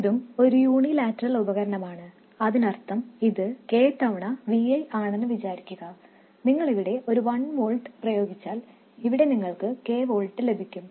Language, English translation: Malayalam, This means that so let's say this is k times v i, if you apply 1 volts here, here you will get k volts